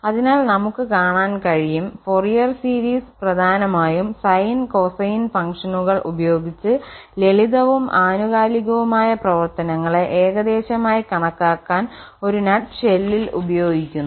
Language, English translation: Malayalam, So, Fourier series mainly we will see their its used in a nut shell to approximate the functions using sine and cosine functions which are simple and then also periodic